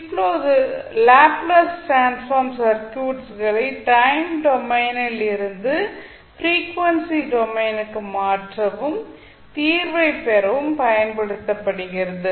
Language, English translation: Tamil, Now, Laplace transform is used to transform the circuit from the time domain to the frequency domain and obtain the solution